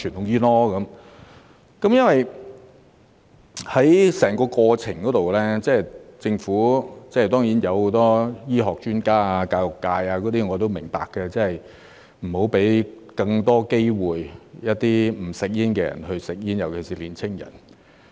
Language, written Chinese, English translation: Cantonese, 在整個過程中，政府當然提出了很多醫學專家和教育界人士的意見，我都明白不要讓一些不吸煙的人有更多機會吸煙，尤其是年輕人。, Throughout the process the Government has of course put forward the views of many medical experts and members of the education sector . I understand that we must not allow more opportunities for non - smokers especially young people to smoke